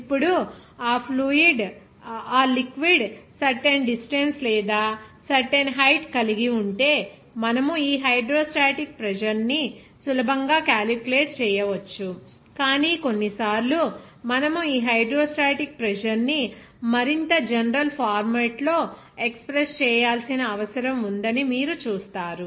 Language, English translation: Telugu, Now, what should be the pressure if you have the certain distance or certain height of that liquid, you can easily calculate this hydrostatic pressure, but sometimes you see that you need to express this hydrostatic pressure in more general format